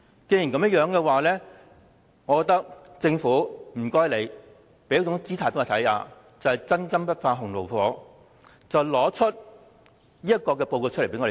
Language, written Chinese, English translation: Cantonese, 如果有，請政府向公眾擺出姿態，證明"真金不怕洪爐火"，交出報告供議員查閱。, If it had please produce the report for Members reference to prove that true gold stands the test of fire